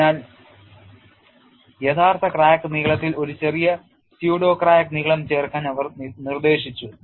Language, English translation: Malayalam, So, they suggested addition of a small pseudo crack length to the actual crack lengths